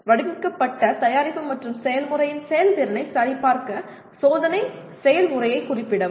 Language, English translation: Tamil, Specify the testing process to check the performance of the designed product and process